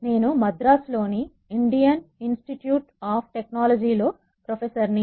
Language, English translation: Telugu, I am a professor in the Indian Institute of Technology at Madras